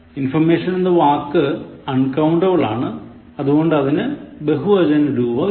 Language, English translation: Malayalam, The word “information” is uncountable, hence, there is no plural form of it